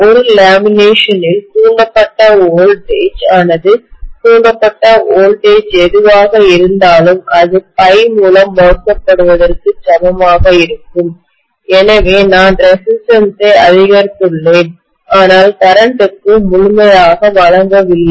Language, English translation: Tamil, So I am going to have the voltage induced per lamination will be equal to whatever is the voltage induced divided by phi but overall, I have increased the resistance because I have not given a thoroughfare for the current